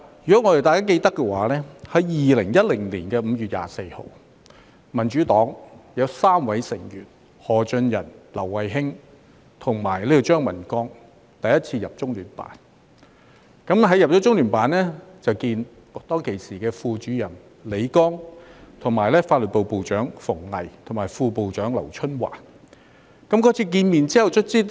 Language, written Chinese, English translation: Cantonese, 如果大家記得，在2010年5月24日，民主黨有3位成員，包括何俊仁、劉慧卿和張文光，第一次進入中央人民政府駐香港特別行政區聯絡辦公室，與時任中聯辦副主任李剛、法律部部長馮巍及副部長劉春華會面。, Members may recall that on 24 May 2010 three members of the Democratic Party including Albert HO Emily LAU and CHEUNG Man - kwong visited the Liaison Office of the Central Peoples Government in the Hong Kong Special Administrative Region LOCPG for the first time to meet with LI Gang the then Deputy Director of LOCPG FENG Wei the then Director General of the Law Department of LOCPG and LIU Chunhua the then Deputy Director General of the Law Department of LOCPG